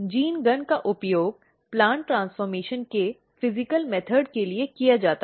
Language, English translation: Hindi, Gene gun is used for the physical method of plant transformation